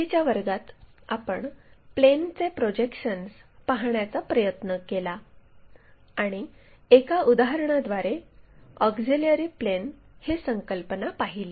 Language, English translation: Marathi, In the last class, we try to look at projection of planes and had an idea about auxiliary planes through an example